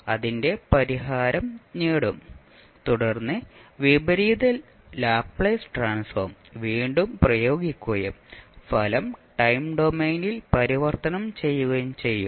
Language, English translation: Malayalam, Obtain its solution and then you will apply again the inverse Laplace transform and the result will be transformed back in the time domain